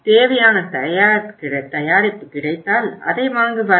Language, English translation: Tamil, Look for the product, if it is available he will buy it